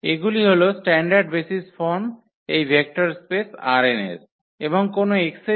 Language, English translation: Bengali, These are the standard basis from this vector space R n